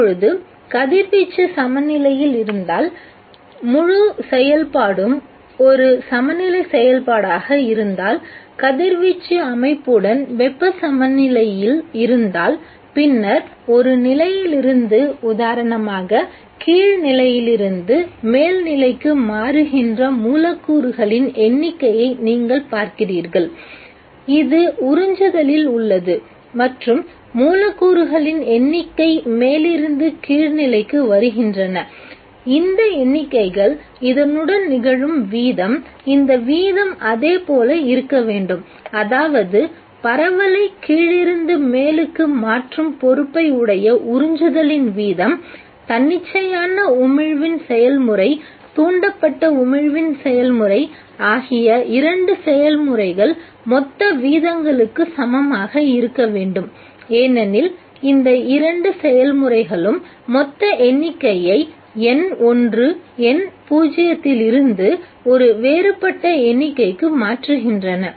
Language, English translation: Tamil, Now if radiation is in equilibrium if the whole process is an equilibrium process if radiation is in thermal equilibrium with the system then you see the number of molecules which are changing from one level for example from the lower level to the upper level as it is in the case of absorption and the number of molecules which are coming down from the upper to the lower level these numbers should be this the rate with which this is happening the rates should be the same that is the rate of absorption which is responsible for changing the distribution from lower to the upper should be equal to the total rates of the two processes namely the process of spontaneous emission, the process of stimulated emission because both of these process change the total number from whatever n1, n0 to a different number